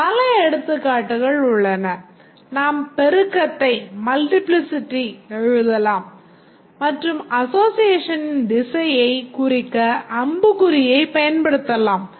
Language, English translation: Tamil, We can write the multiplicity and we can use the arrowhead to indicate the direction of the association